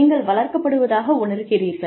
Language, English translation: Tamil, And, you feel, are being nurtured